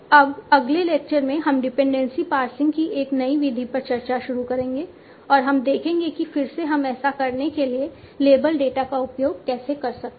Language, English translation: Hindi, Now in the next lecture we will start discussion on a new method of dependency passing and we will see that again how we can use the label data for doing this